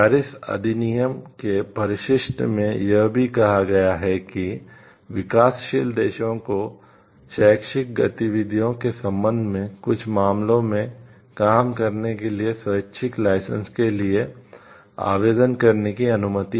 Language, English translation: Hindi, The appendix to the Paris act the convention also permits developing countries to implement non voluntary licences for translation and reproduction of the work in certain cases in connection with educational activities